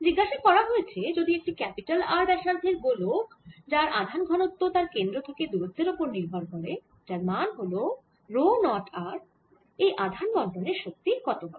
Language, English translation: Bengali, next, question, number four: we are asking: if a sphere of capital radius r has a charge density which depends on the rate distance from the centre and is equal to rho, zero r, then what will be the energy of this charge distribution